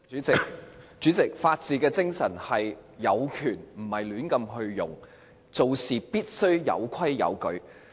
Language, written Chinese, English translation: Cantonese, 主席，法治精神是有權而不會亂用，做事必須有規有矩。, President in spirit the rule of law requires one to refrain from any indiscriminate use of entrusted power and to act within reasonable parameters